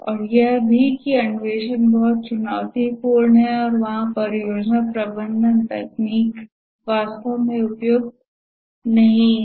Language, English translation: Hindi, And also the exploration is too challenging and there the project management techniques are not really suitable